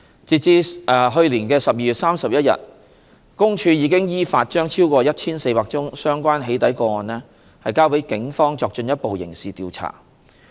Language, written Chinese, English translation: Cantonese, 截至2019年12月31日，公署已依法將超過 1,400 宗相關"起底"個案交予警方作進一步刑事調查。, As at 31 December 2019 PCPD has referred more than 1 400 doxxing cases to the Police in accordance with the law for further criminal investigation